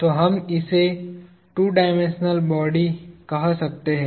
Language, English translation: Hindi, So, we can call this as two dimensional body